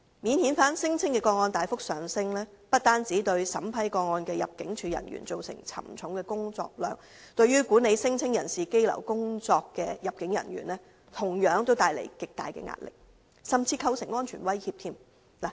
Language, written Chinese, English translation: Cantonese, 免遣返聲請的個案大幅上升，不單對審批個案的入境處人員造成沉重的工作量，對管理聲請人士羈留工作的入境處人員同樣帶來極大壓力，甚至構成安全威脅。, The dramatic increase in the number of non - refoulement claims has not only caused a heavy workload to the immigration officers responsible for vetting the claims but also posed to those responsible for managing the detention of claimants immense pressure and even threats to their personal safety . Now the detention centre in Castle Peak Bay is already overcrowded